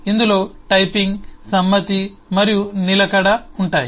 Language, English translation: Telugu, this will include typing, concurrency and persistence